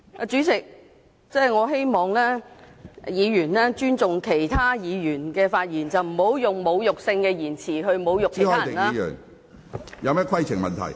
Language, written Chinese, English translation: Cantonese, 主席，我希望議員尊重其他議員的發言，不要用侮辱性的言詞來侮辱別人。, President I hope Members can respect the speeches made by other Members and do not use insulting language to insult other people